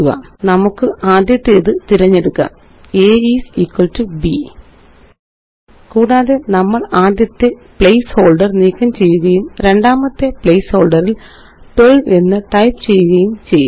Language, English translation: Malayalam, Let us select the first one: a is equal to b And we will delete the first placeholder and type 12 in the second place holder